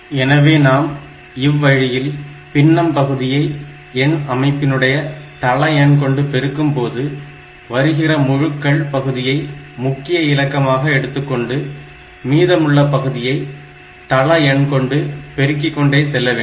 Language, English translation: Tamil, So, this way you see that this number if we multiply the fractional part by the base of the number system take the integer part of it as the next significant digit and go on multiplying the remaining fractional part by the base of the number system